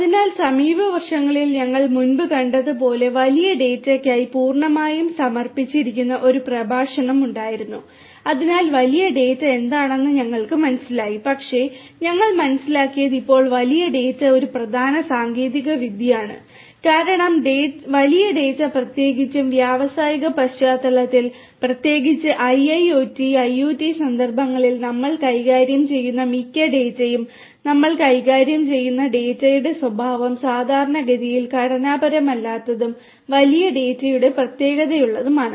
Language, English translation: Malayalam, So, in recent years as we have seen before we had a lecture which was completely dedicated to big data so we have understood what big data is, but what we have understood is also that big data at present is an important technology because big data is what most of the data, that we are dealing with at present particularly in the industrial context, particularly in the IIoT and IoT contexts, the nature of the data that we deal with are typically unstructured and having the characteristics of the big data